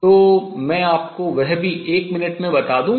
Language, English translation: Hindi, So, let me just tell you that also in a minute